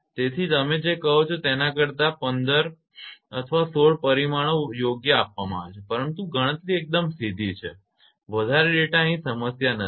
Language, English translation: Gujarati, So, 9 10 more than your what you call 15 or 16 parameters are given right, but calculations are straight forward data is not a problem here